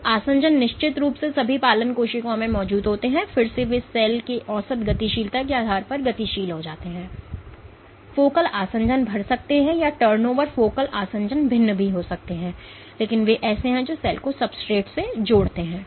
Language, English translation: Hindi, So, adhesions are of course, present in all adherence cells again they are dynamic depending on the average motility of the cell, the focal adhesions might grow or the turnover focal adhesions might vary, but they are the ones which link the cell with the substrate